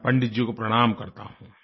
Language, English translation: Hindi, I render my pranam to Pandit ji